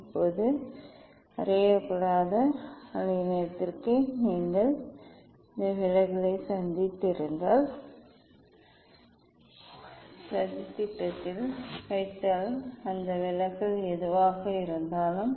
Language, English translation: Tamil, Now, for unknown wavelength whatever deviation that deviation if you put this deviation in the plot